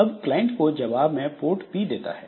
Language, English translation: Hindi, So, Mathemaker now replies to the client with port P